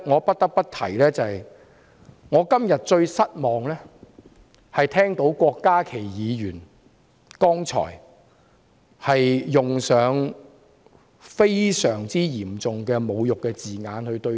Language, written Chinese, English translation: Cantonese, 不得不提的是，我今天感到最失望的是聽到郭家麒議員剛才對我們的同事使用嚴重侮辱的言詞。, A point I must make is that today I am most disappointed to hear Dr KWOK Ka - ki use grossly insulting language about our Honourable colleagues earlier . Just now I heard Ms Alice MAKs speech